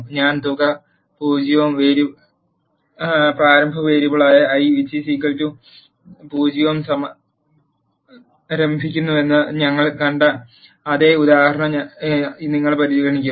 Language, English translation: Malayalam, You will consider the same example as we have seen I am initializing the sum as 0 and the initial variable i is equal to 0